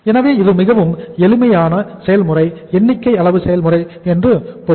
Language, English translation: Tamil, So it means it is a very simple process, quantitative process